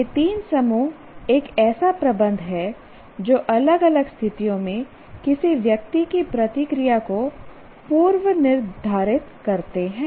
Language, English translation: Hindi, These three sets are dispositions that predetermine a person's response to different situations